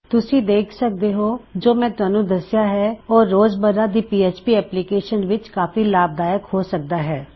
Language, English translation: Punjabi, So you see, already I have explained how useful these can be in so many every day php applications